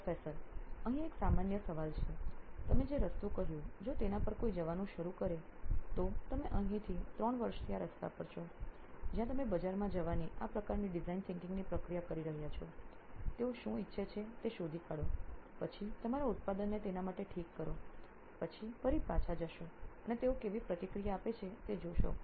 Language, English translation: Gujarati, Here is a generic question, if somebody were to start out on a path like what you have said so you are here on this path for 3 years now where you have been doing this sort of design thinking ish process of going to the market, finding out what they want, then fixing your product for that, then going back again and seeing how they react